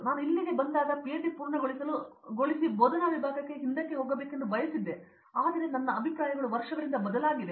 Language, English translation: Kannada, When I came here I wanted to complete PhD and go a back as a faculty, but my views have changed over the years